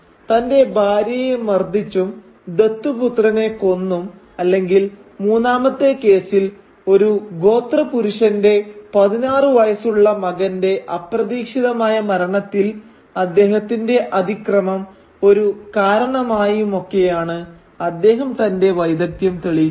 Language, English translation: Malayalam, By acting it out by beating his wife, by killing his adopted son, or as in the third case where his transgression results in an accidental killing of a sixteen year old son of a clansman